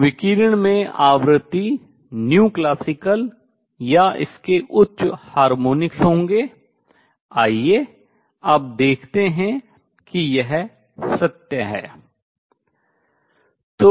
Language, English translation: Hindi, So, the radiation will have frequency nu classical or its higher harmonics; let us now see that this is true